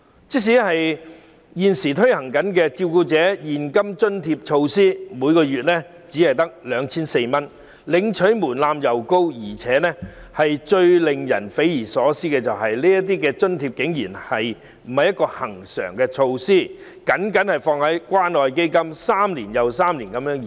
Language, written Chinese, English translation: Cantonese, 即使現行的照顧者現金津貼，每月亦只得 2,400 元，但申領門檻高，而最令人匪夷所思的是，這項津貼竟非恆常措施，只被納入關愛基金項下，每3年續期1次。, Even the current cash allowance for carers is only 2,400 per month but the threshold for application for the allowance is high . Most astonishingly the provision of such cash allowance is not a regular measure and is only placed under the Community Care Fund where renewal is required every three years